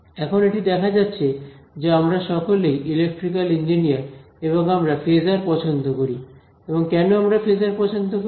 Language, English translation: Bengali, Now, as it turns out we are all electrical engineers and we like phasors and why do we like phasors